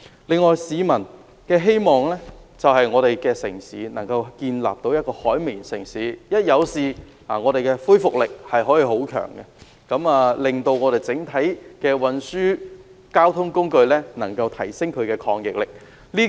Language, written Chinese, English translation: Cantonese, 此外，市民希望香港發展成為一個"海綿城市"，一旦發生事故也有很強的恢復力，提升本港整體交通運輸工具的抗逆力。, Moreover people hope that Hong Kong can become a sponge city such that in the event of incidents the city can recuperate quickly so as to enhance the resilience of the public transport in Hong Kong